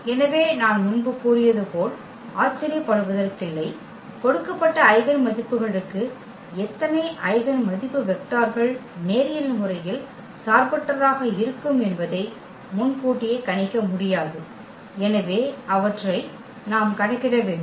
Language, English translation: Tamil, So, not surprising as I said before that for given eigenvalues we cannot predict in advance at how many eigenvalue vectors will be linearly independent so, we have to compute them